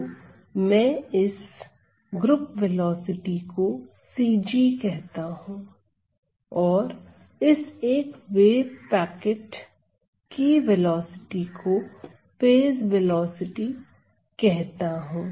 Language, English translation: Hindi, So, I term this as c g, the group velocity and the velocity of this 1 wave packet is also called as the phase velocity